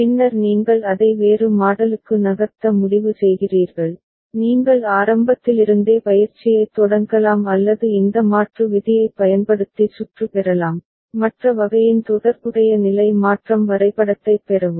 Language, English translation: Tamil, And then you decide it to move to another model right, you can start the exercise right from the beginning or you can use this conversion rule and get the circuit, get the corresponding state transition diagram of the other type ok